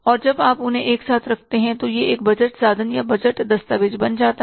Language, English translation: Hindi, And when you put them together, it becomes the budget instrument or the budget document